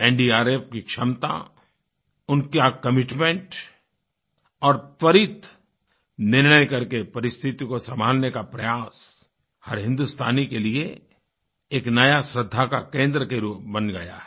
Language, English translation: Hindi, The capability, commitment & controlling situation through rapid decisions of the NDRF have made them a cynosure of every Indian's eye, worthy of respect & admiration